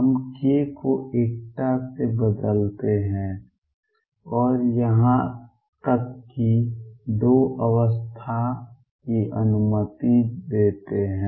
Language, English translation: Hindi, We change k by unity and even allow 2 pi states